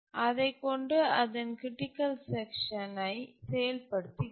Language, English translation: Tamil, So, it's executing its critical section